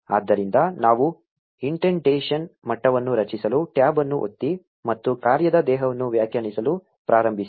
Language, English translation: Kannada, So we press tab to create an indentation level, and start defining the function body